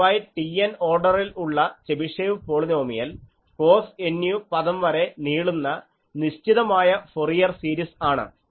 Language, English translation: Malayalam, In general, T capital Nth order Chebyshev polynomial is a finite Fourier series up to the term cos N u